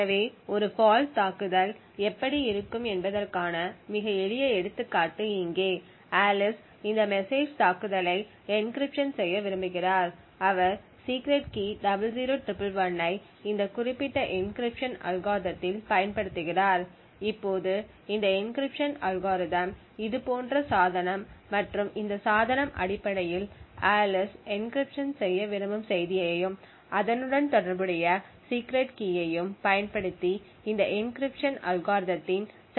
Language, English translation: Tamil, So here is a very simple example of how a fault attack would look like so we have Alice who wants to encrypt this message attack at dawn so she is using a particular encryption algorithm who’s secret key is 00111, now this encryption algorithm is executing on a device like this and this device would essentially use the message which Alice wants to encrypt and the corresponding secret key and pass it to an implementation of this encryption algorithm